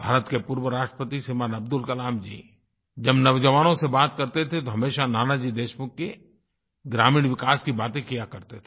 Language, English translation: Hindi, India's former President Shriman Abdul Kalamji used to speak of Nanaji's contribution in rural development while talking to the youth